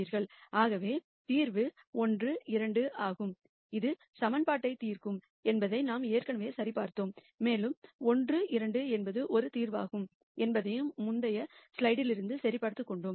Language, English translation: Tamil, Thus, the solution is 1 2 and we had already verified that this would solve the equation and we had veri ed that 1 2 is a solution that we can directly get by observation from the previous slide